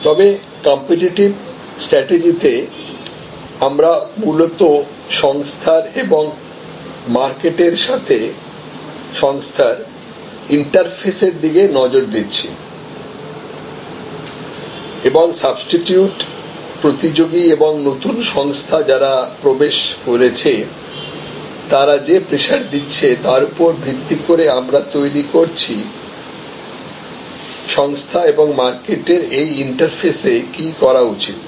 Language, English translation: Bengali, But, in competitive strategy we are mainly looking at the organization and it is interfaces with the market place and the forces imposed by substitutes and by competitors and by new entrance and based on that you are developing what to do at this interface between the organization and the market